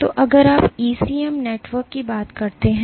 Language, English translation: Hindi, So, if you talk of ECM networks